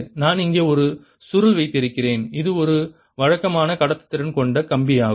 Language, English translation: Tamil, and i have here a coil which is a regular conducting wire with a resistance connected here